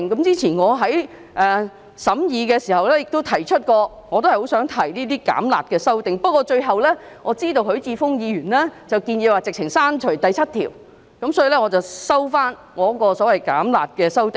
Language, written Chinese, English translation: Cantonese, 早前我在審議時亦曾提出有關意見，我也希望提出這些"減辣"的修正案，但最後我知道許智峯議員建議直接刪去第7條，所以我收回我的修正案。, During the deliberation on the Bill I also put forward this view and hoped to put forward an amendment to reduce the penalty . But I finally withdrew my amendment on learning that Mr HUI Chi - fung would propose the deletion of clause 7 direct